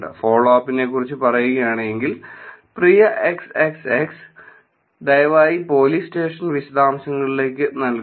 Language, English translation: Malayalam, And about follow up, Dear XXX, Please provide the police station details